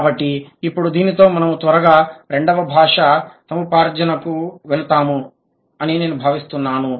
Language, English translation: Telugu, So, now with this I think we would quickly just move to the second language acquisition